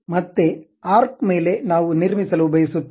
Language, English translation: Kannada, Again on arc we would like to construct